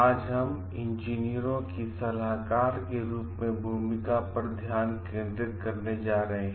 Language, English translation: Hindi, Today we are going to focus on the role of engineers as consultants